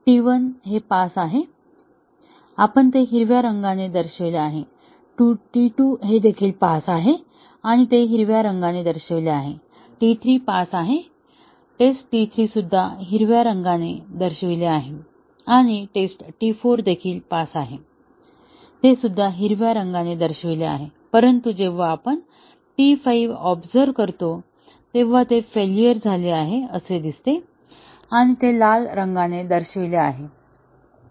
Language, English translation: Marathi, So, T 1 passed; we have shown it by green; T 2 also passed, shown it by green; T 3 passed; test T 3, that is green and test T 4 also passed, that is green; but, when we ran T 5, it failed, shown by a red